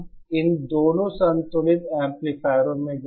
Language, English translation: Hindi, Now in both these balanced amplifiers